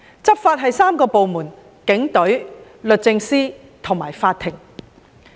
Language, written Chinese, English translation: Cantonese, 執法涉及3個部門，包括警隊、律政司和法庭。, Law enforcement involves three agencies namely the Police Force the Department of Justice and the court